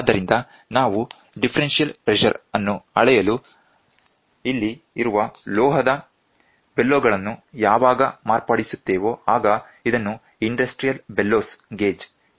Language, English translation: Kannada, So, when we modify the metallic bellows which is here for measuring differential pressure, it is also called as industrial bellow gauges